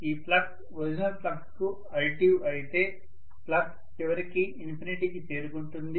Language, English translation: Telugu, If this flux becomes addictive to the original flux, the flux would eventually reach infinity, very very large value